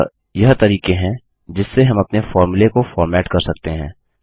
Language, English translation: Hindi, So these are the ways we can format our formulae